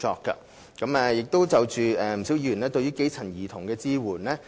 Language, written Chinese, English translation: Cantonese, 不少議員關注對基層家庭兒童的支援。, Many Members are concerned about the support for children from grass - roots families